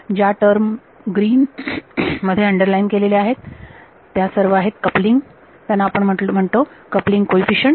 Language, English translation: Marathi, The terms underlined in green, so they are all the coupling we call them the coupling coefficients